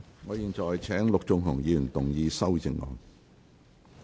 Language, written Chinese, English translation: Cantonese, 我現在請陸頌雄議員動議修正案。, I now call upon Mr LUK Chung - hung to move his amendment